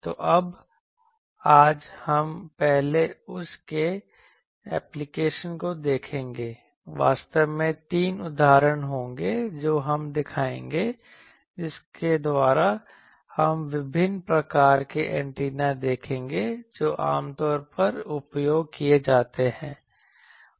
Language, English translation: Hindi, So, now, today we will first see a application of that; actually there will be 3 examples we will show by which we will see that various types of antenna which are commonly used